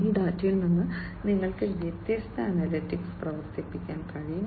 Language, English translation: Malayalam, So, from this data you can run different analytics